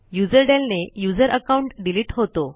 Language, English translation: Marathi, userdel command to delete the user account